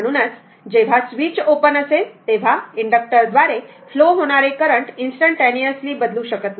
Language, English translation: Marathi, So, when the switch is your what you call when the switch is opened current through the inductor cannot change instantaneously